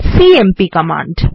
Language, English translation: Bengali, The cmp command